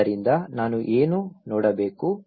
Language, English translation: Kannada, So, what I should look into